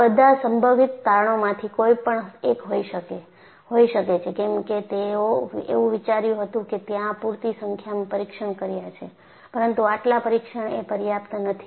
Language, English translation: Gujarati, So, that could be one of the possible conclusions because they had thought that they had done enough number of test, but the test were not sufficient